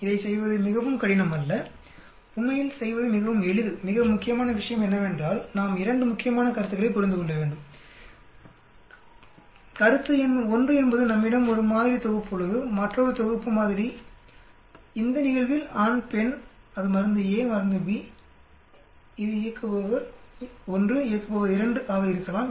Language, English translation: Tamil, It is not very difficult to do, it is quite simple to do actually, the most important point is we need to understand 2 important concepts, concept number 1 is we have one sample set, another sample set this case its male, female, it could be drug a, drug b, it could be anything operator 1, operator 2